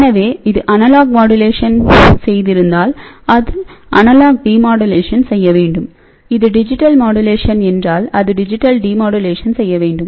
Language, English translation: Tamil, So, if it has done analog modulation it should do analog demodulation, if it is digital modulation it should do the digital demodulation and that goes to the display device speaker